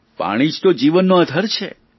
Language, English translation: Gujarati, Water is the basis of all life